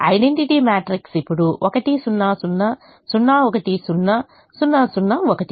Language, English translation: Telugu, identity matrix is now one, zero, zero, zero